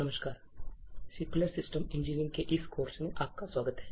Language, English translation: Hindi, Hello, and welcome to this course of Secure Systems Engineering